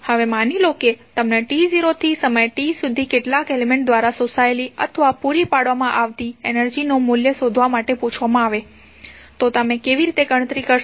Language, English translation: Gujarati, Now, suppose you are asked to find out the value of energy absorbed or supplied by some element from time t not to t how you will calculate